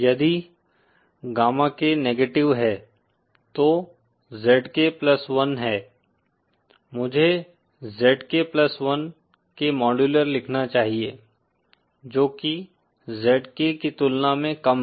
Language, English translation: Hindi, If gamma K is negative, then ZK plus one is, I should write the modulars of ZK + 1 is lesser than ZK